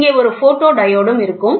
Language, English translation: Tamil, And then there is a photodiode